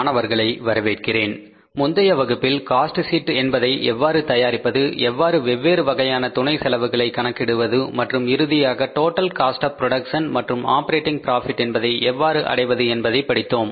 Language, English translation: Tamil, So, in the previous class we learned about how to prepare the cost sheet and how to calculate the different sub costs and finally arrived at the total cost of production and the operating profit